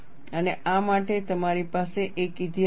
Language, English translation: Gujarati, And you have a history for this